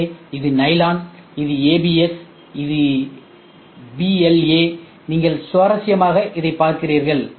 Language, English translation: Tamil, So, this is nylon, this is ABS, this is PLA ok, and interestingly you look at it